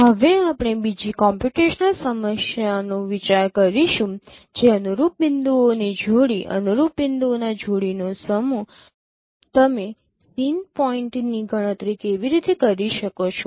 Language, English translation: Gujarati, We will now consider another computational problem that given a pairs of corresponding points, a set of pairs of corresponding points, a set of pairs of corresponding points, how can you compute the scene points